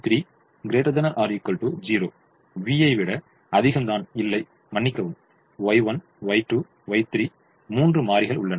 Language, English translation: Tamil, v three is also greater than i am sorry y one, y two, y three